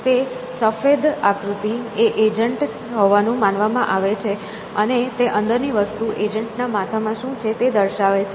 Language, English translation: Gujarati, So, that white figure at it is supposed to be the agent, and the thing inside that is what is in the head of the agent